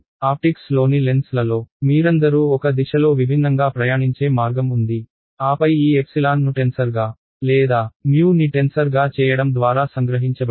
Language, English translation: Telugu, And in lenses in optics you all we have that way of travels differently in one direction then another direction and isotropic things are there that is captured by making this epsilon into a tensor or mu into a tensor ok